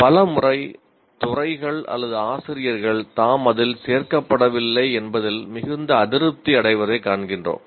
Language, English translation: Tamil, Many times we find the departments or faculty feel very unhappy that they are not included